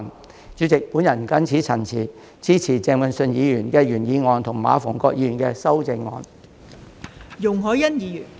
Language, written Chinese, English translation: Cantonese, 代理主席，我謹此陳辭，支持鄭泳舜議員的原議案及馬逢國議員的修正案。, Deputy President with these remarks I support Mr Vincent CHENGs original motion and Mr MA Fung - kwoks amendment